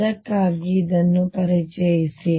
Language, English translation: Kannada, That is why introduce this